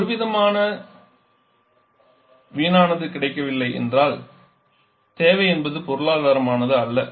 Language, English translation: Tamil, Are there is some sort of wastage is not available need is not economic at all